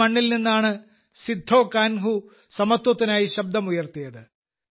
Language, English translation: Malayalam, From this very land Sidhho Kanhu raised the voice for equality